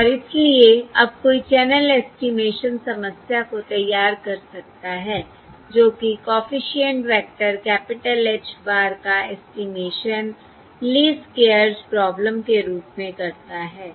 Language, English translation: Hindi, And therefore now one can formulate the channel estimation problem that is, the estimation of the coefficient vector, capital, H bar as a Least Squares problem